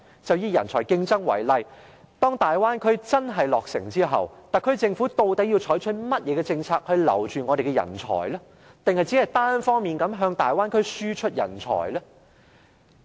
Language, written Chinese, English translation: Cantonese, 就以人才競爭為例，當大灣區真的落成後，特區政府究竟要採取甚麼政策留住我們的人才，抑或只是單方面向大灣區輸出人才呢？, Let us take competition for talents as an example . Upon actual completion of the Bay Area development project will the SAR Government adopt any policy to retain our talents or just export talents to the Bay Area unilaterally?